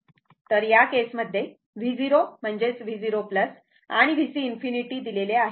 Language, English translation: Marathi, So, in this case, V 0 is given that is V 0 plus and V C infinity